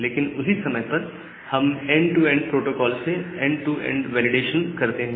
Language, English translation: Hindi, But at the same time we do a end to end validation with this end to end protocols